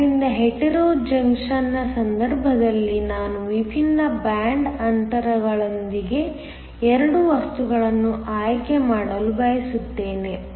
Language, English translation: Kannada, So, in the case of a Hetero junction we want to choose 2 materials with different band gaps